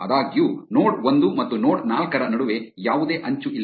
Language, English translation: Kannada, However, there is no edge between node 1 and node 4